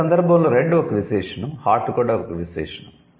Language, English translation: Telugu, So, in this case, red is also an adjective, hot is also an adjective